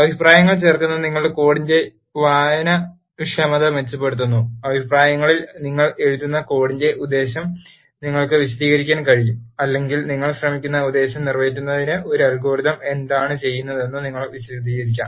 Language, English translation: Malayalam, Adding comments improve the readability of your code for example, you can explain the purpose of the code you are writing in the comments or you can explain what an algorithm is doing to accomplish the purpose which you are attempting at